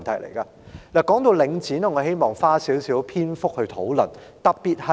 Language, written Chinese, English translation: Cantonese, 談到領展，我希望花少許篇幅討論。, On the issue of Link REIT I would like to spend some time discussing it